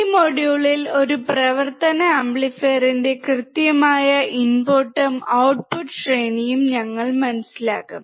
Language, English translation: Malayalam, In this module, we will understand the exact input and output range of an operational amplifier